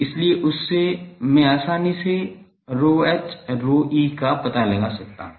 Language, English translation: Hindi, So, from that I can easily find out rho n rho e